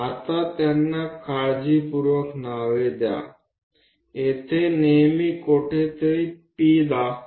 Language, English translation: Marathi, Now name them carefully, always point P somewhere here